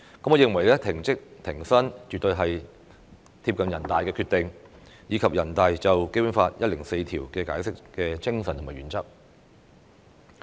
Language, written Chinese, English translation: Cantonese, 我認為"停職停薪"絕對是貼近人大常委會的決定，以及人大常委會關於《基本法》第一百零四條的解釋的精神和原則。, In my opinion the suspension without pay is absolutely in line with the spirit and principles of NPCSCs decision and NPCSCs Interpretation of Article 104 of the Basic Law